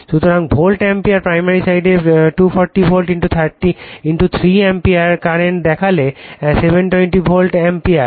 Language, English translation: Bengali, So, if you see the volt ampere primary sidE240 volt * 3 ampere current so, 720 volt ampere right